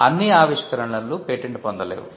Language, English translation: Telugu, Not all inventions are patentable